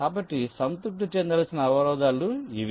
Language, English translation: Telugu, so these are the constraints that need to be satisfied